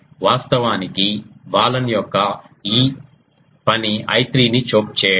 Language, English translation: Telugu, Actually a Balun's job is to choke this I 3, that it will do